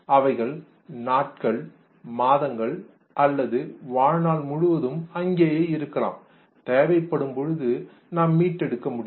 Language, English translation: Tamil, They may remain here for days, months, or even lifelong, and can be retrieved as and when needed